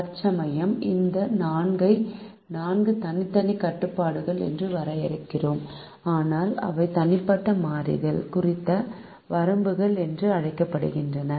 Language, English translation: Tamil, at the moment we will define this four as four separate constrains, but there also called bounds on the individual variables